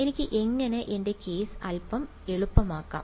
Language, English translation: Malayalam, How can I make my life a little bit easier